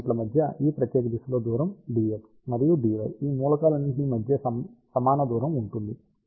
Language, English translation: Telugu, And, along this particular direction distance between the elements is dy dy all these elements have equal distance